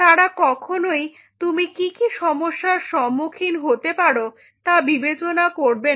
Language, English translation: Bengali, They will not consider at what are the problems you are going to face